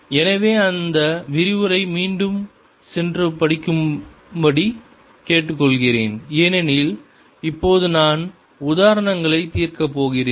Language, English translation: Tamil, so i would request you to go and look at that lecture again, because now i am going to solve examples